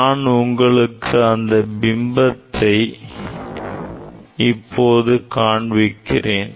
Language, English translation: Tamil, I will show you this image I will show you this image